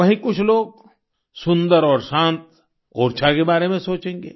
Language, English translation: Hindi, At the same time, some people will think of beautiful and serene Orchha